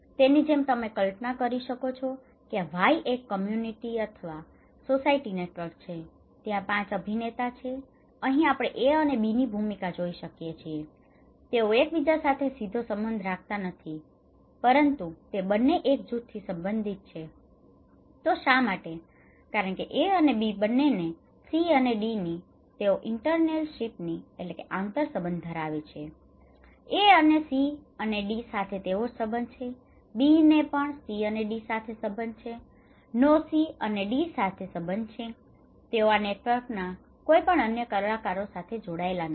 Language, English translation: Gujarati, So, like here you can imagine that this is a community or society network total Y, there are five actors so, we can see the role here like A and B, they do not have direct relationship with each other, but they belong to one group why; because A and B have same interrelationship with C and D like both A; A has a relationship with C and D similarly, B has a relationship with C and D, they are not connected with any other actors in this network